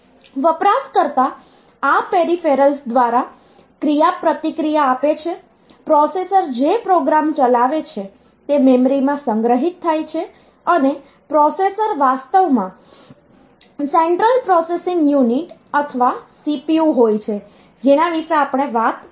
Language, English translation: Gujarati, So, the user interacts via this peripherals and the program that does the processor is executing is stored in the memory, and the processor is actually the central processing unit or CPU that we have talked about